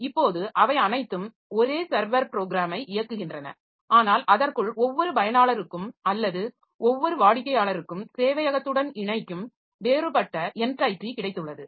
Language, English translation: Tamil, Now all of them are executing the same server program but within that every user or every client that connects to this server has got a different entity